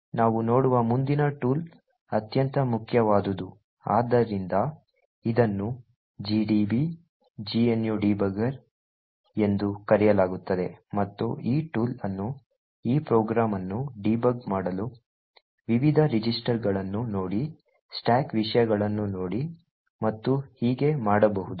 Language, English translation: Kannada, The next tool that we will actually look at is the most important so that is known as the gdb gnu debugger and this tool can be used to actually debug this program look at the various registers, look at the stack contents and so on